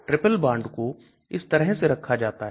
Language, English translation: Hindi, Triple bond is put like this